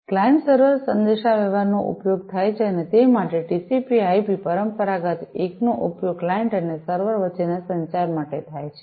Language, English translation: Gujarati, So, client server communication is used and for that a TCP/IP conventional one is used for the communication with between the client and the server